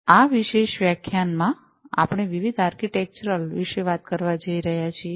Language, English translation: Gujarati, In this particular lecture, we are going to talk about the difference architecture